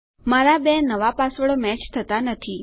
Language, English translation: Gujarati, You can see that my two new passwords dont match